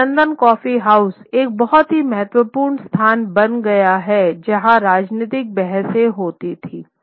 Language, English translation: Hindi, And the coffee houses, the London coffee houses become a very important place in which debates, political debates take place